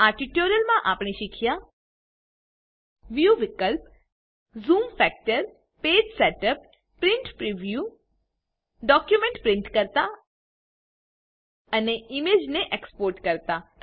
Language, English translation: Gujarati, In this tutorial we have learnt about View options Zoom factor Page setup Print Preview Print a document and Export an image